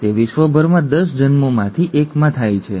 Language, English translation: Gujarati, It occurs in about 1 in 1000 births across the world